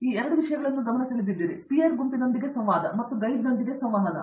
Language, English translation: Kannada, You pointed out 2 things, interaction with the peer group and interaction with the guide